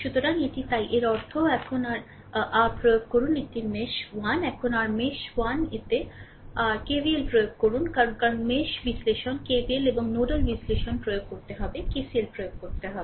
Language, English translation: Bengali, So, let me clear it so; that means, now you apply your this is your mesh 1, now you apply your KVL in your mesh 1 because mesh analysis, we have to apply KVL and nodel analysis, we have to we are applying KCL, right